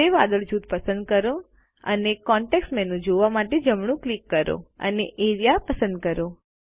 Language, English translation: Gujarati, Select the gray cloud group and right click to view the context menu and select Area